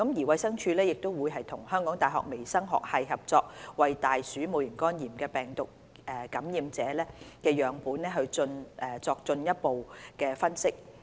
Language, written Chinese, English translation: Cantonese, 衞生署亦會與香港大學微生物學系合作，為大鼠戊型肝炎病毒感染者的樣本進行進一步分析。, The DH will also conduct further analysis on samples collected from patients with rat HEV infection in collaboration with the Department of Microbiology of the University of Hong Kong